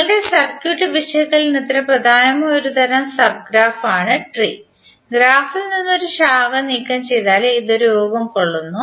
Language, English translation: Malayalam, Tree is one kind of sub graph which is important for our circuit analysis and it is form by removing a branch from the graph